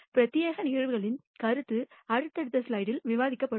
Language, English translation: Tamil, The notion of exclusive events will be discussed in the subsequent slide